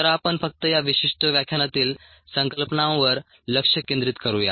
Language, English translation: Marathi, um, so let's ah just focus on the concepts in this particular lecture